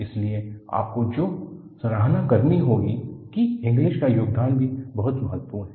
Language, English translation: Hindi, So, what you will have to appreciate is, the contribution of Inglis is also very important